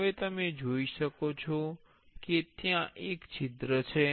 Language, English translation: Gujarati, Now, you can see there is a hole